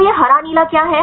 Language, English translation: Hindi, So, what is this green the blue one